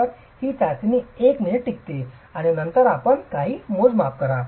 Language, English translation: Marathi, So the test lasts for a minute and then you make some measurements